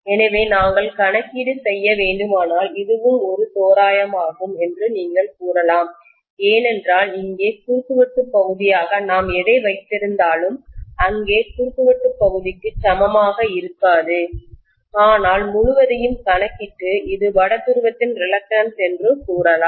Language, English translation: Tamil, So you can say that if we have to make the calculation, this is also an approximation because you please understand that whatever we are having as the cross sectional area here, will not be same as the cross sectional area here but we are going to lump the whole thing and say that this is the reluctance of North pole